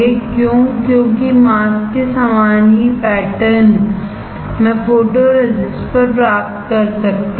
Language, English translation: Hindi, Why, because same pattern of the mask I can get on the photoresist